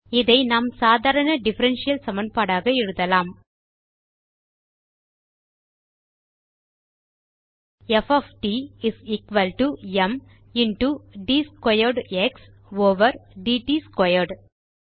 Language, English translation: Tamil, This can be written as an ordinary differential equation as:F of t is equal to m into d squared x over d t squared